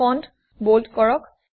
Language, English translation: Assamese, Make the font bold